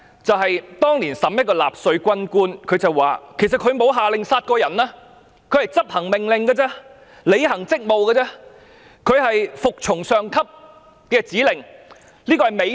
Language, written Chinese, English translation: Cantonese, 就是當年一名納粹軍官接受審判時，說自己沒有下令殺人，他只是執行命令，履行職務，他是服從上級的指令而這是美德。, When a Nazi military officer was on trial back then he said that he himself had not ordered killings but merely performed his duties under orders and that his obedience of his superiors orders was a virtue